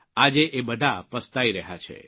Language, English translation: Gujarati, all of them are regretting now